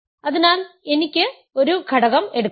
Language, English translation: Malayalam, So, I can take an element